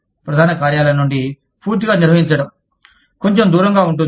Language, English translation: Telugu, Managing totally from headquarters, is slightly more aloof